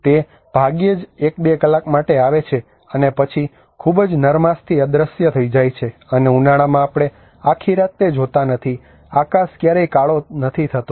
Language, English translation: Gujarati, It hardly comes for one or two hours and then disappears very gently and in summer we do not see it all the night, the sky never gets darker